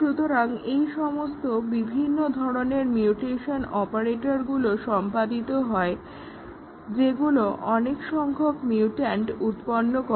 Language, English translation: Bengali, So, all these different types of mutation operators are carried out which generate a large number of mutants